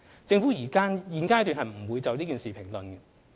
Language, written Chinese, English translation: Cantonese, 政府現階段不會就此事評論。, The Government has no comment on this matter at this stage